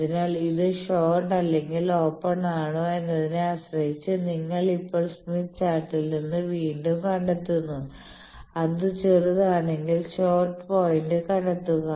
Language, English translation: Malayalam, So, depending on whether it is short or open, you now find again from smith chart, locate the if it is shorted locate the short point and from short you find out how much to go